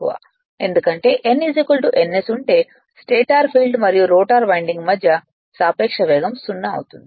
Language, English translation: Telugu, Because if n is equal to ns the relative speed between the stator field and rotor winding will be 0 right